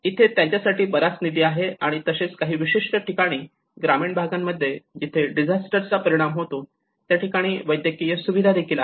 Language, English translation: Marathi, Here they have more funds and also the medical care systems are accessible like in some of the rural places where these particular disasters to gets affected